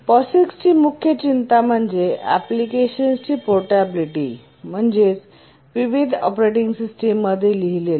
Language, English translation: Marathi, The major concern for POGICs is portability of applications written in different operating systems